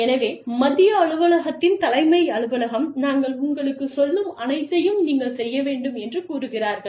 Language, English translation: Tamil, So, the head office, the central headquarters say that, you know, you just do, whatever we are telling you